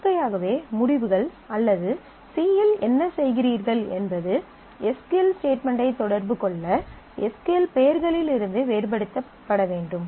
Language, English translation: Tamil, So, naturally the results or whatever you are doing in C which needs to have a communication with the SQL statement need to be differentiated from the SQL names themselves